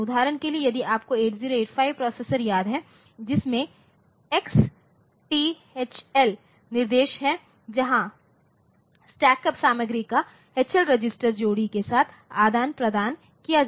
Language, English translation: Hindi, For example, if you look into say the 8085 processor you remember that there is an instruction like XTHL where the stacked up content is exchanged with the HL register pair in is